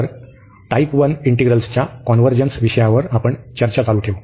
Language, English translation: Marathi, So, we will continue on the discussion on the convergence of type 1 integrals